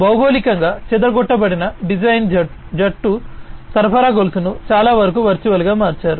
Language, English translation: Telugu, There could be geographically dispersed design teams supply chain itself has been made virtual to a large extent